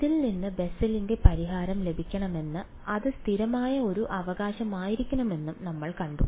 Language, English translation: Malayalam, We have seen that to get Bessel’s solution out of this it should be a constant right